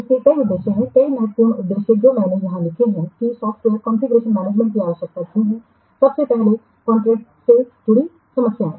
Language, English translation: Hindi, So there are several purposes, some important purposes I have written here that why software configuration management is required